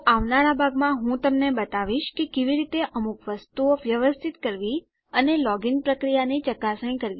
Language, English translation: Gujarati, So in the next part I will show you how to tidy a few things out and test the login process